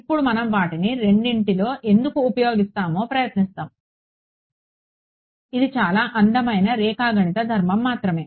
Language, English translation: Telugu, Now we will get into why we are using two of them it is a very beautiful geometric property only